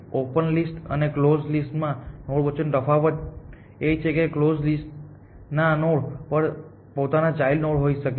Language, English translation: Gujarati, The difference between the node on open and a node on close is that a node on close may have children of its own essentially